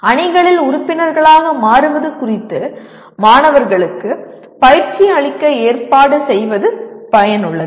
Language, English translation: Tamil, It is worthwhile to arrange for coaching to students on becoming members of teams